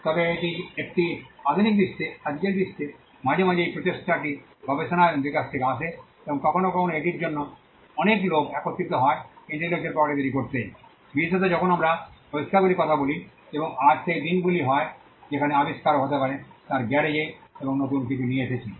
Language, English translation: Bengali, But in today’s the world in a modern world sometimes this effort comes from research and development sometimes and sometimes it requires many people coming together to create intellectual property right, especially when we are talking about inventions and today gone are the days where an inventor could be in his garage and come up with something new